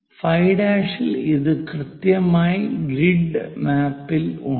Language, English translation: Malayalam, At 5, this is precisely on the grid map, so connect that